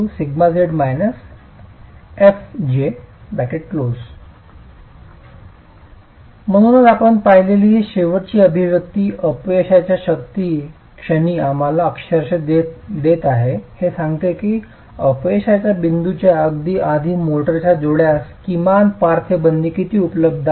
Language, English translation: Marathi, So this basically this last expression that you have seen is giving us literally at the point of failure is telling us how much minimum lateral confinement is available to the motor joint just before the point of failure